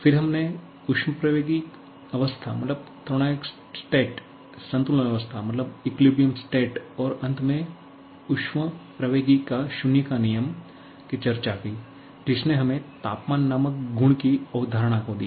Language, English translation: Hindi, Then, the concept of thermodynamics state, equilibrium state and finally the zeroth law of thermodynamics which give away the concept of the property called temperature